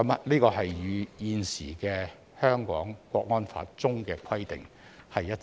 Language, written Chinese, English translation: Cantonese, 這與現行《香港國安法》中的規定一致。, This is consistent with the provisions in the existing Hong Kong National Security Law